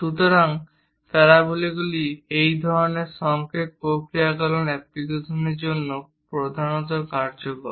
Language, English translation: Bengali, So, our parabolas are majorly useful for this kind of signal processing applications